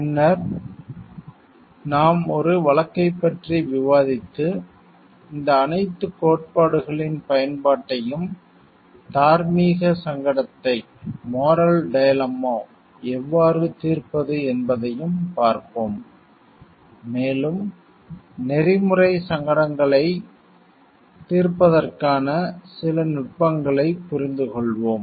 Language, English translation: Tamil, Then we will discuss a case and see the application of all these theories in how we solve a moral dilemma, and we will get to understand some techniques of solving ethical dilemmas